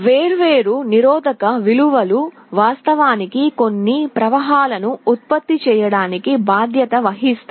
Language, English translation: Telugu, The different resistance values are actually responsible for generating some currents